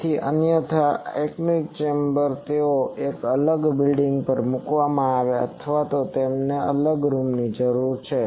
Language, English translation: Gujarati, So, otherwise the anechoic chambers they are put on a separate building or separate room is required for that